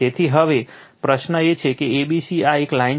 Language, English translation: Gujarati, So, now question is that a b c this is a dash line